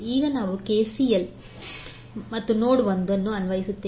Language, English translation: Kannada, Now we will apply the KCL and node 1